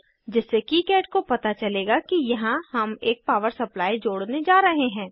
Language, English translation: Hindi, So then kicad will know that we are going to connect a power supply here